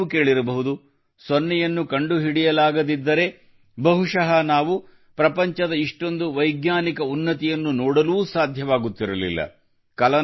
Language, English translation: Kannada, Often you will also hear that if zero was not discovered, then perhaps we would not have been able to see so much scientific progress in the world